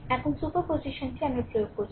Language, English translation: Bengali, Now superposition we are applying